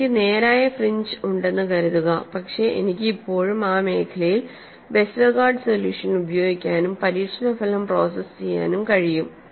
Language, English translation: Malayalam, Suppose I have fringes which are straight, then I could say I could still use Westergaard solution in that zone and process the experimental result